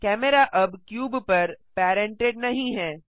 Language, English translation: Hindi, The camera is no longer parented to the cube